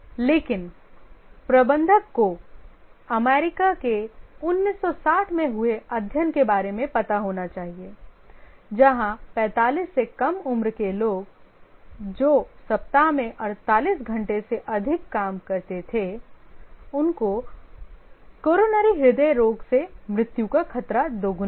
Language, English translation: Hindi, But then as a manager we must be aware of the 1960 study in US where people under 45 who worked more than 48 hours a week had twice the risk of death from coronary heart ditches